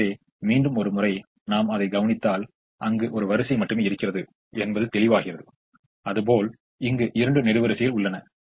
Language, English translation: Tamil, so once again, when we came to the other one, there is only one row that is available and other there are two columns that are available